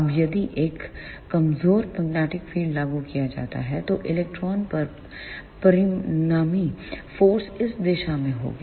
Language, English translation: Hindi, Now, if a weak magnetic field is applied, then the resultant force on the electron will be in this direction